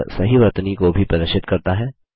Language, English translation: Hindi, It also displays the correct spelling